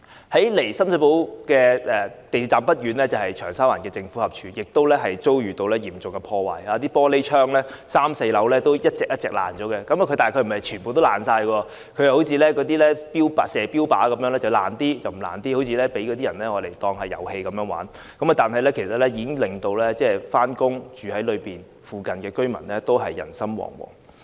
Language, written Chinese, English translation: Cantonese, 距離深水埗港鐵站不遠的長沙灣政府合署亦遭受嚴重破壞 ，3 樓和4樓的玻璃窗被毀，但又並非全部破裂，而是像標靶般，一些破裂了，一些則沒有，好像被人當作是玩遊戲，但已經令在那裏上班或在附近居住的市民人心惶惶。, The Cheung Sha Wan Government Offices located not far away from the Sham Shui Po MTR Station also sustained serious damage with the glass panels on the third and fourth floors destroyed . However not all of them are broken and it seems that they have been treated as a dartboard for only some of them are broken but some are not just like some people having regarded it as playing a game . Yet it has already made people working there or members of the public living in the vicinity become panic - stricken